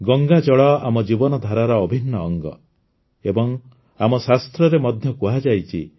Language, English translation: Odia, Ganga water has been an integral part of our way of life and it is also said in our scriptures